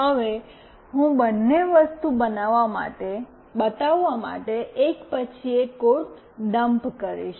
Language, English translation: Gujarati, Now, I will be dumping the code one by one to show both the things